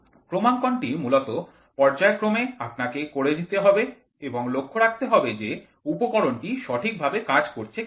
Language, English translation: Bengali, Calibration is basically periodically you check what whether the instrument is working properly